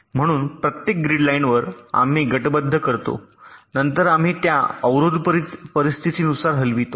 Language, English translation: Marathi, so on each of the grid lines we carry out ah grouping, then we move these blocks according to the ah scenario